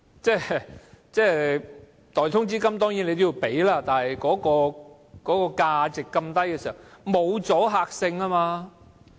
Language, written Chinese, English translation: Cantonese, 當然，代通知金要支付，但代價那麼低實無阻嚇力。, Of course payment in lieu of notice must be paid but the price is really too low to have any deterrent effect